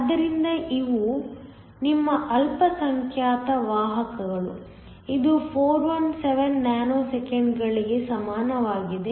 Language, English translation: Kannada, So, These are your minority carriers; this is equal to 417 nanoseconds